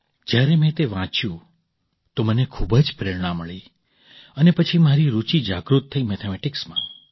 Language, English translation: Gujarati, When I read that, I was very inspired and then my interest was awakened in Mathematics